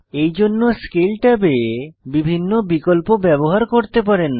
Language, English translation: Bengali, For this you can use the various options in the Scale tab